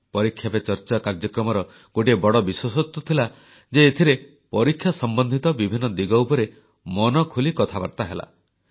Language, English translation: Odia, One of the focal points of 'ParikshaPeCharcha' was that there were lively interactions on various topics related with the entire process of examinations